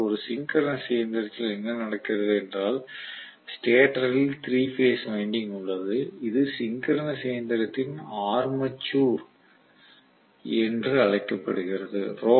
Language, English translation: Tamil, But in a synchronous machine what happens is the stator has the 3 phase winding which is known as the Armature of the synchronous machine